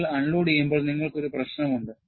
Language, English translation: Malayalam, When you have unloading, you have a problem